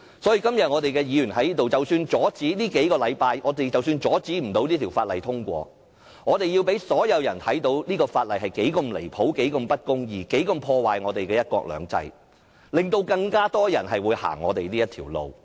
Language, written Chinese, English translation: Cantonese, 所以，即使我們在這裏只能拖延數星期而不能阻止這項《條例草案》獲通過，也要讓所有人看見這項《條例草案》有多離譜、不公義及破壞"一國兩制"，從而使更多的人會走我們這條路。, Therefore even if we can only stall for a couple of weeks and cannot stop the passage of this Bill we still have to let everyone see how outrageous and unjust this Bill is and how it undermines one country two systems so that more people will join us in this path